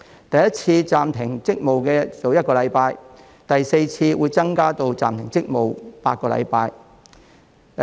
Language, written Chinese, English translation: Cantonese, 第一次暫停職務是1星期，第四次暫停職務會增加至8星期。, The duration of the suspension on the first occasion is one week and the duration of the suspension on the fourth occasion is eight weeks